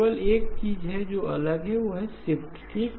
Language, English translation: Hindi, The only thing that is different is the shifts okay